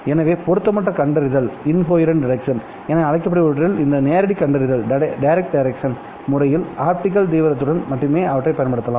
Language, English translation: Tamil, In this method of detection which is also called as direct detection, you're only concerned with optical intensity